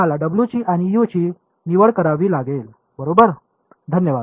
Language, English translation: Marathi, We have to choose w’s and we have to choose u’s correct